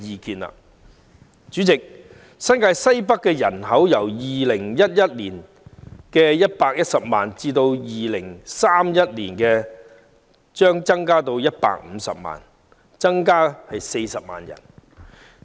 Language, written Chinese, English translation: Cantonese, 代理主席，新界西北的人口將由2011年的110萬人上升至2031年的150萬人，增加40萬人。, Deputy President the population in Northwest New Territories will increase from 1.1 million people in 2011 to 1.5 million people by 2031 representing a growth of 400 000 people